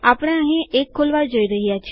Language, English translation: Gujarati, Were going to open one here